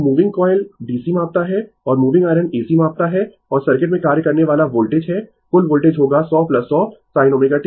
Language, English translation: Hindi, So, moving coil measures DC and moving iron measures AC right and the voltage acting in the circuit is the total voltage will be 100 plus 100 sin omega t